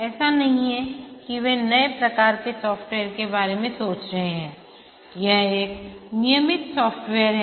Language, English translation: Hindi, It's not that something they are thinking of a new type of software